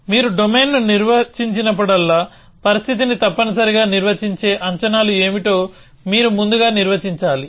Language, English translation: Telugu, So, whenever you define a domain, you have first define what are the predicates which will define the situation essentially